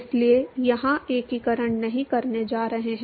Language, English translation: Hindi, So, not going to do the integration here